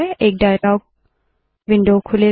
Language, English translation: Hindi, A dialog window opens